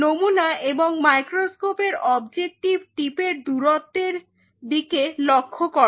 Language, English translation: Bengali, So, look at this distance between the sample and the micro and the objective tip